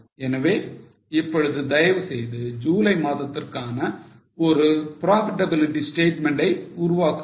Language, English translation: Tamil, So, please make a profitability statement for July now